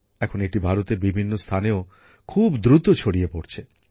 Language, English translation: Bengali, This is now spreading very fast in different parts of India too